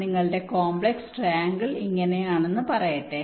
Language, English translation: Malayalam, so this complex triangular is